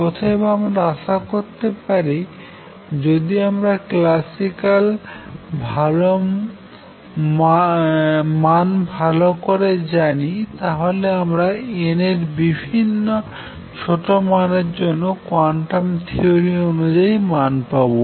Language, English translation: Bengali, Therefore I can hope if I know the classic results well, that I can go back and go for a small n values and anticipate what would happen in quantum theory